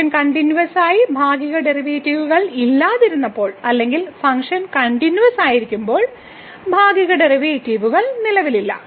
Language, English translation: Malayalam, We have seen the example when the function was not continuous partial derivatives exist or the function was continuous, partial derivative do not exist